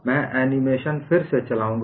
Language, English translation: Hindi, I will do the animation again